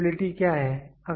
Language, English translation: Hindi, What is repeatability